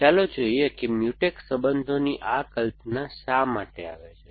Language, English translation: Gujarati, Let us, why this notion of Mutex relations will come